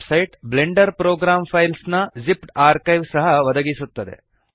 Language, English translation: Kannada, The website also provides a zipped archive of the Blender program files